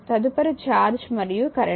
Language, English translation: Telugu, Next is the charge and current